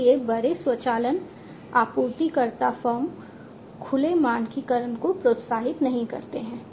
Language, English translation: Hindi, So, the large automation suppliers firms do not encourage open standardization